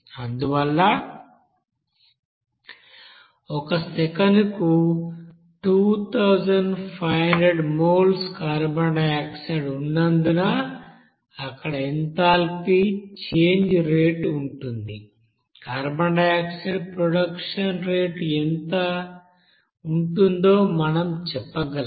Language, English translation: Telugu, Therefore, we can say that since 2500 moles per second of carbon dioxide there the rate of enthalpy change will be here it will be there, what will be the rate of carbon dioxide production this is given 2500 moles per second of carbon dioxide